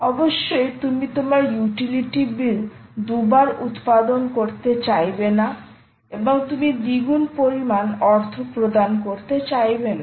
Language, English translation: Bengali, you obviously dont want your utility bill to produce your utility bill to appear twice and you pay twice the amount, right